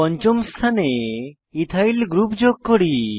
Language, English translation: Bengali, Let us add an Ethyl group on the fifth position